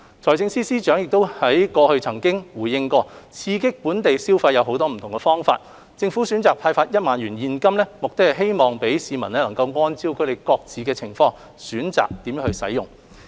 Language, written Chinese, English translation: Cantonese, 財政司司長過去亦曾回應，刺激本地消費有很多不同方法，政府選擇派發1萬元現金，目的是讓市民按照他們各自的情況，選擇如何使用。, The Financial Secretary also responded to media enquiry earlier that there are different ways to stimulate local consumption and the Government introduced the Scheme to let people decide on spending the money according to their needs